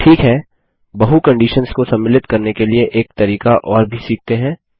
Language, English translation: Hindi, Okay, let us also learn another way to include multiple conditions